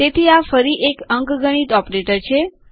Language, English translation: Gujarati, So this again is an arithmetical operator